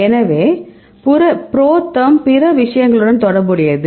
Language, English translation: Tamil, So, related with the ProTherm as well as other things